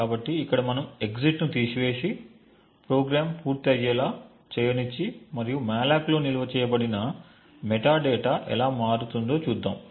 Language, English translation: Telugu, So, what we will do is remove the exit from here and let the program run to completion and we would see how the metadata stored in the malloc changes